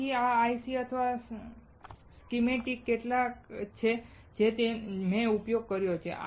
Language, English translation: Gujarati, So, these are some of the ICs or a schematic that I have used